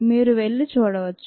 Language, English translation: Telugu, you might want to watch that